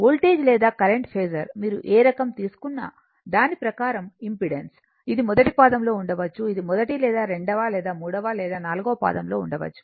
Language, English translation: Telugu, Impedance what type of thing you have taken according to that the voltage or current phasor, it may be in first quadrant, it may be first or second or third or fourth